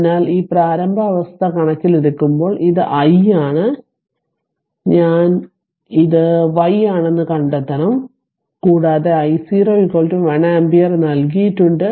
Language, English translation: Malayalam, So, given that initial condition this is i and this is i y you have to find out i t and i y t given that I 0 is equal to 1 ampere